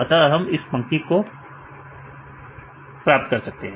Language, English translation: Hindi, So, then we can get from this line right this line